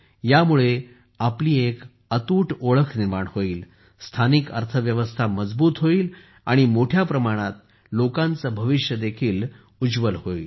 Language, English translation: Marathi, This will also strengthen our identity, strengthen the local economy, and, in large numbers, brighten the future of the people